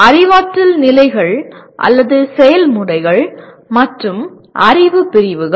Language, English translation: Tamil, Cognitive levels or processes and knowledge categories